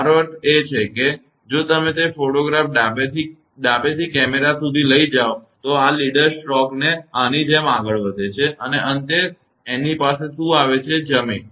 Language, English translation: Gujarati, I mean if you take the photograph like that from left to by camera, this leader stroke it is moving like this and finally, it is coming to this one; ground